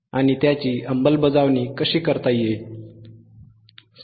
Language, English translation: Marathi, And how it can be implemented